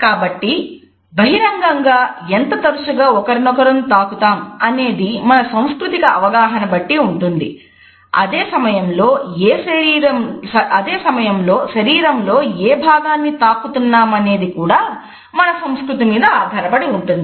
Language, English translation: Telugu, So, the amount in frequency of touching each other in public is conditioned by our cultural understanding and at the same time which body part is being touched upon is also decided by our cultural understanding